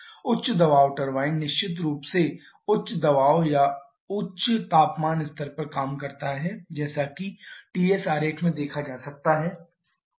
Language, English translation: Hindi, High pressure turbine definitely works at a higher pressure and higher temperature level as can be seen from the TS diagram